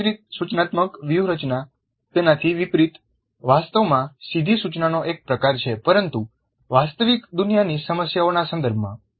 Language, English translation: Gujarati, Task centered instructional strategy by contrast is actually a form of direct instruction but in the context of real world problems